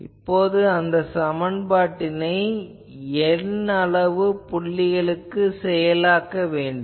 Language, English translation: Tamil, Now, let us enforce that equation on n number of points